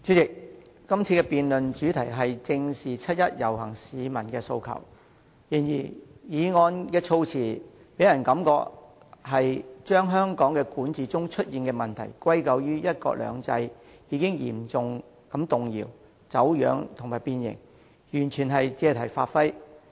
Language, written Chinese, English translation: Cantonese, 主席，今次辯論的主題是"正視七一遊行市民的訴求"，但議案的措辭令人感到動議議案的議員把香港管治中出現的問題，歸咎於"一國兩制"嚴重動搖、走樣和變形，完全是借題發揮。, President the title of this motion debate is Facing up to the aspirations of the people participating in the 1 July march . The wording gives us the impression that the Member proposing the motion lays all the blame of the problems arising from the governance of Hong Kong on the implementation of one country two systems in Hong Kong being severely shaken distorted and deformed . He is totally making an issue of the subject